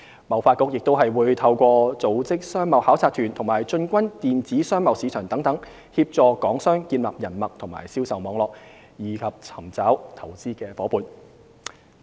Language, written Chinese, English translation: Cantonese, 貿發局亦會透過組織商貿考察團及進軍電子商貿市場等，協助港商建立人脈和銷售網絡，以及尋找投資夥伴。, HKTDC will also help Hong Kong businesses establish connections and sales network as well as find investment partners through organizing business missions and increasing presence in online marketplaces